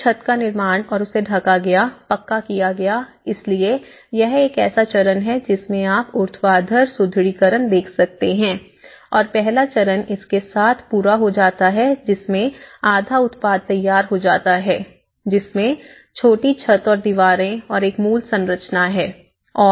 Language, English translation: Hindi, So, the roof was built and covered, paved so this is a stage one as you can see the vertical reinforcement and the stage one is completed with a half finished product with a small roof walls on the basic structure